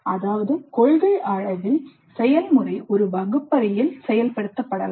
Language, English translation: Tamil, That means in principle the process can be implemented in a classroom